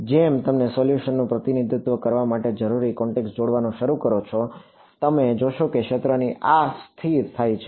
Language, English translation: Gujarati, As you begin to approach the required fidelity for representing the solution, you will find that the fields stabilize like this